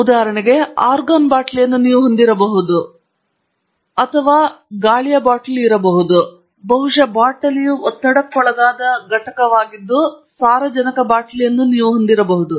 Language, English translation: Kannada, So, maybe you have a nitrogen bottle maybe you have argon bottle or maybe even an air bottle, but most important thing is the bottle is a pressurized unit